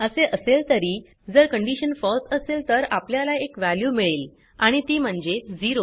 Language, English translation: Marathi, Anyhow if the condition is false then also we will get a value that is 0